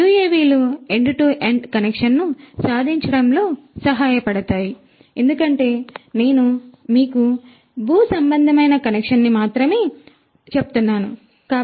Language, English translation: Telugu, UAVs can help in achieving end to end connection, as I was telling you not only terrestrial connection, but also terrestrial to aerial, aerial to terrestrial and so on